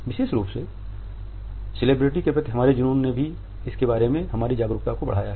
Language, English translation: Hindi, Particularly our obsession with celebrity has also enhanced our awareness of it